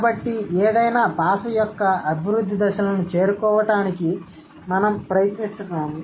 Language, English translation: Telugu, So, we are trying to approach the developmental stages of any given language